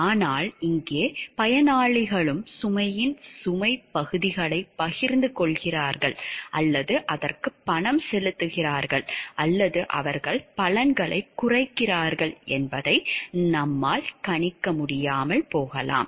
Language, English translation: Tamil, But here we may or may not be able to track that the beneficiaries are they also sharing the burden parts of the burden and paying for it or they are dipping the benefits and somebody others pays for this the cost component